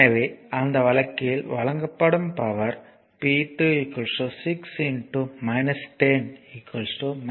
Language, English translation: Tamil, So, in that case p 2 will be 6 into minus 10 minus 60 watt power supplied